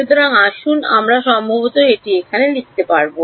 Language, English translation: Bengali, So, let us maybe we will write it over here